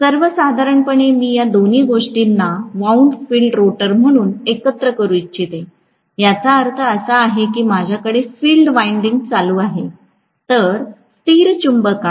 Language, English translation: Marathi, In general, I can call both these things together as wound field rotor, which means I am going to have field winding whereas in permanent magnet I do not have to have this field winding